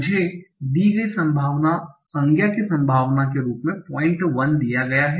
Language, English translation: Hindi, And probability of the given noun is given as 0